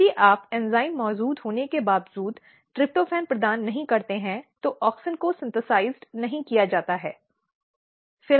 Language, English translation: Hindi, So, what happens if you do not provide tryptophan even though the enzyme is present, but auxin is not synthesized